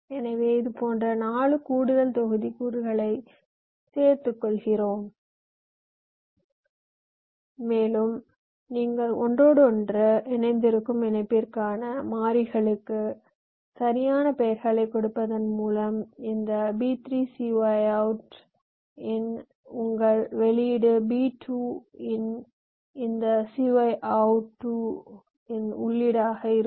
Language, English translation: Tamil, so you instantiate or we include four such add modules and you see, just by giving the variable names appropriately, you provide with the interconnections, like your output of this b three, c y out, two will be the input of this c out two, a, b, two